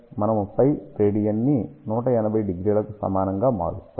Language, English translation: Telugu, So, what do we do we simply convert pi radian equal to 180 degree